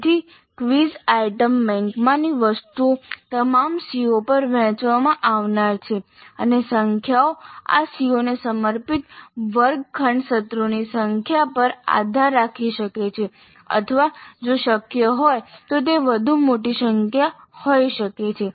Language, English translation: Gujarati, So the items in the quiz item bank are to be distributed over all the Cs and the numbers can depend upon the number of classroom sessions devoted to those COs or it can be even larger number if it is possible